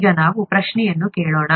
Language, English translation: Kannada, Now let us ask the question